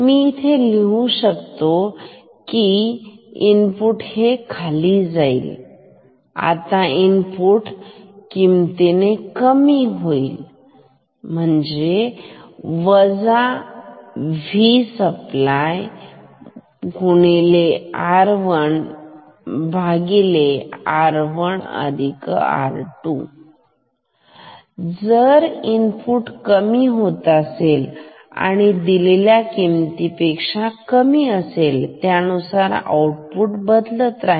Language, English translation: Marathi, I could write it here if input goes below ok; now if input goes below this value this is minus minus V supply R 1 by R 1 plus R 2; if input is decreasing and now it becomes lower than this value, then output will become output will change